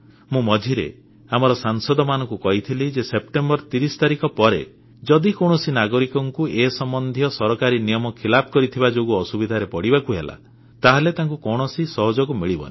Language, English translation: Odia, In between, I had even told the Members of the Parliament that after 30th September if any citizen is put through any difficulty, the one who does not want to follow due rules of government, then it will not be possible to help them